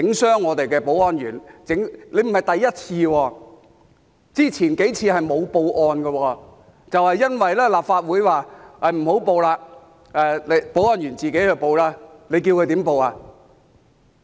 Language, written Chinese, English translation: Cantonese, 他們並非第一次，之前數次沒有報案，是因為立法會說不報案，由保安員自行報案，你叫他們怎樣報案？, It is not the first time for them to do so . It happened several times before but no report was made to the Police as the Legislative Council decided not to do so and asked the security staff to report the cases by themselves . How could they report the cases?